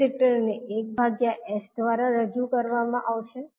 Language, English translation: Gujarati, Capacitor will be represented as 1 by s